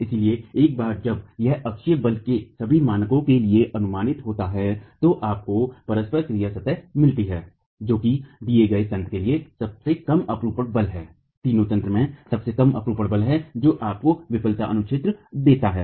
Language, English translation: Hindi, So once this is estimated for all values of axial force, you get the interaction surface which is the lowest shear force for a given mechanism, the lowest shear force of the three mechanisms which then gives you the failure domain itself